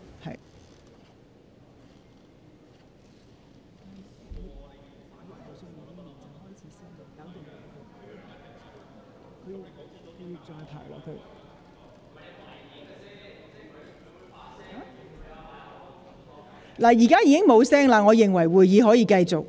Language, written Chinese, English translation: Cantonese, 聲響現已停止，我認為會議可以繼續。, The ringing has stopped . I think the meeting can proceed